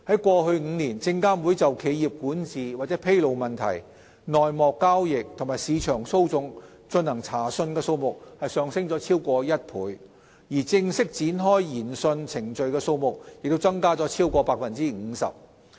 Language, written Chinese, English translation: Cantonese, 過去5年，證監會就企業管治或披露問題、內幕交易及市場操縱進行查訊的數目上升了超過1倍，而正式展開的研訊程序的數目則增加了超過 50%。, The number of SFC inquiries into corporate governance or disclosure issues insider dealing and market manipulation has more than doubled in the past five years while the number of formal proceedings commenced has increased by more than 50 %